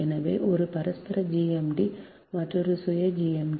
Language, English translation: Tamil, so one is mutual gmd, another is self gmd, right